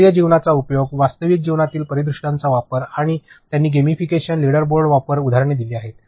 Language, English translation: Marathi, The use of active learning approach, using real life scenarios and she has provided examples like use of gamification, leader boarding